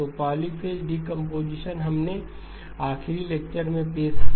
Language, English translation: Hindi, So the polyphase decomposition, we introduced in the last lecture